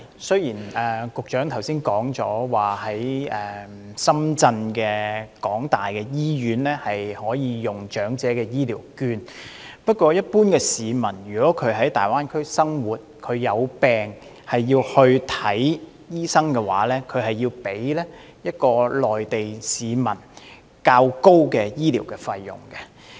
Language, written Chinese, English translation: Cantonese, 雖然局長剛才指出，香港市民可以在香港大學深圳醫院使用長者醫療券，但一般市民在大灣區生活時患病並需要求醫的話，他們須付上較內地市民為高的醫療費用。, According to the Secretary just now Hong Kong citizens can use Elderly Health Care Vouchers for payment at HKU - SZH . But general Hong Kong people living in the Greater Bay Area who fall sick and need medical attention will have to pay higher medical fees than those of Mainland citizens